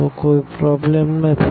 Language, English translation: Gujarati, So, no problem